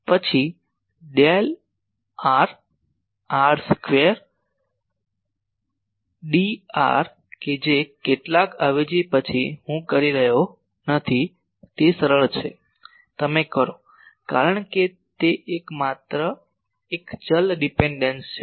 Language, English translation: Gujarati, Then del r r square d r that will after some substitution I am not doing it is simple you do because it is a one only one variable dependence